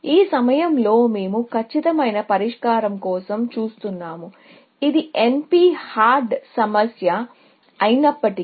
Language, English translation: Telugu, This time, we are looking for an exact solution; even though it is NP hard problem